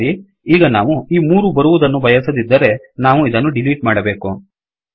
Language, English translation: Kannada, Alright, now, if we didnt want this three to come we have to delete this